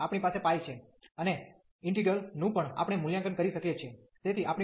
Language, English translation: Gujarati, So, we have pi there, and the integral also we can evaluate